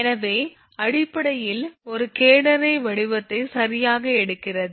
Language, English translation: Tamil, So, basically takes a catenary shape right